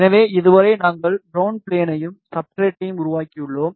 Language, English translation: Tamil, So, so far we have made the ground plane and the substrate